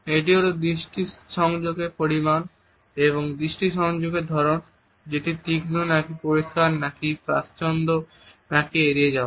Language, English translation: Bengali, That is the amount of eye contact as well as the nature of eye contact, whether it is sharp, clear, peripheral or whether there is an avoidance